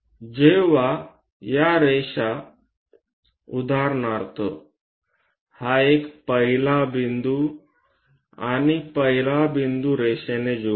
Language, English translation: Marathi, When these lines; for example, let us pick this one, 1st point and 1st point join them by a line